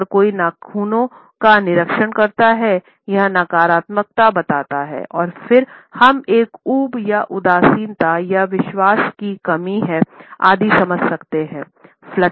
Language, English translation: Hindi, If someone inspects the fingernails, it suggests negativity and then we can understand, it as a boredom or disinterest or lack of confidence, etcetera